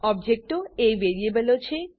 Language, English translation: Gujarati, Objects are variables